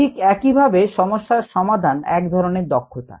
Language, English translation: Bengali, similarly, problem solving is also a skill